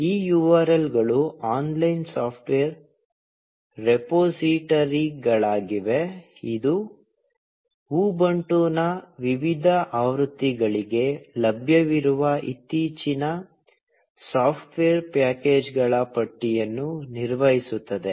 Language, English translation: Kannada, These URLs are online software repositories, which maintain the list of latest software packages available for various versions of Ubuntu